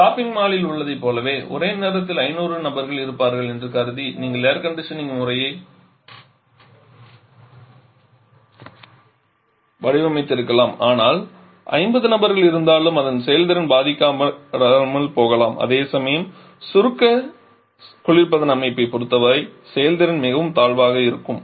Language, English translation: Tamil, Like in shopping mall you may have designed air conditioning systems assuming that there will be 500 persons inside simultaneously, but if there are 50 persons performance may not be affected whereas for combustion reservation system performance will be very much inferior